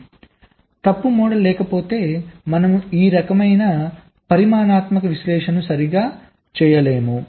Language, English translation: Telugu, so unless you have a fault model, you cannot do this kind of quantitative analysis